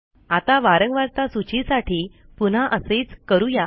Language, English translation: Marathi, Now for the frequency list do the same thing